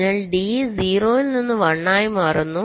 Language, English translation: Malayalam, so d will change from one to zero